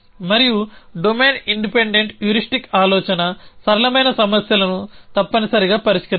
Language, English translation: Telugu, And the idea of domain independent heuristic is to solve simpler problems essentially